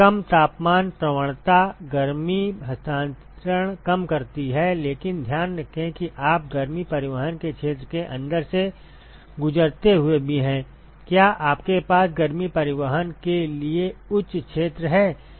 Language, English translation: Hindi, Lesser the temperature gradient lesser the heat transfer, but keep in mind that you are also as you go through inside the area of heat transport is also you are having higher area for heat transport right